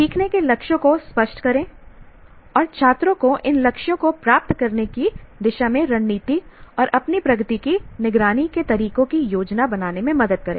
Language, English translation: Hindi, Make learning goals explicit and help students to plan strategies and ways of monitoring their own progress towards achieving these goals